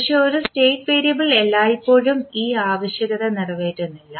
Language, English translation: Malayalam, But, a state variable does not always satisfy this requirement